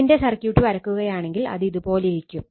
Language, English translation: Malayalam, I mean the circuit wise if we draw like this, it will be something like this